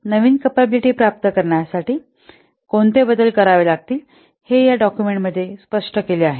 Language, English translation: Marathi, So this document explains the changes to be made to obtain the new capability